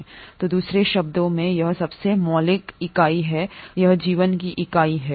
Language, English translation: Hindi, Ó So in other words it is the most fundamental unit and it is the unit of life